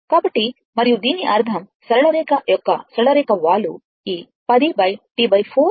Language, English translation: Telugu, So, and that means, the slope of the straight line slope of the straight line will be this 10 divided by T by 4 right